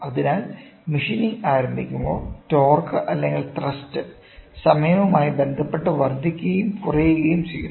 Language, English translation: Malayalam, So, as and when it starts machining, the torque or the thrust keeps increasing and decreasing with respect to time